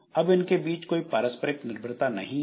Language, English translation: Hindi, So, there is no dependency between them